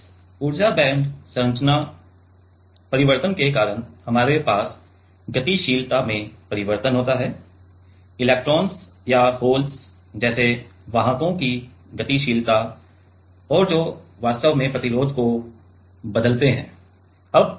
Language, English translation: Hindi, Because of this energy band structure change we have change in the mobility; mobility of carriers like electrons or holes and that actually change resistance that change resistance